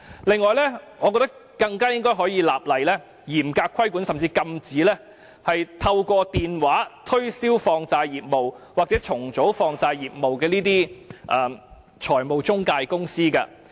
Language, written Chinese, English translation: Cantonese, 此外，我認為政府更應立法嚴格規管——甚至禁止——財務中介公司透過電話推銷放債或債務重組業務。, In addition I think the Government should also enact legislation to impose more stringent regulation―or even a ban―on telesales in marketing loans or debt restructuring